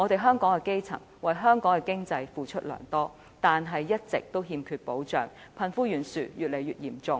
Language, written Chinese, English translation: Cantonese, 香港的基層為香港的經濟付出良多，但一直欠缺保障，貧富懸殊越來越嚴重。, The grass roots of Hong Kong have contributed a lot to our economic achievements but they have been deprived of protection and the wealth gap is becoming wider and wider